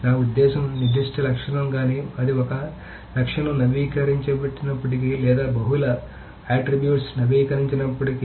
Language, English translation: Telugu, I mean the particular attribute either even if it is one attribute is updated or multiple attributes are updated